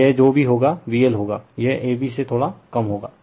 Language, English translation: Hindi, So this one whatever V L will be, it will be slightly less than a b right